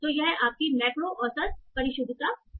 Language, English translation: Hindi, So this is your macro average precision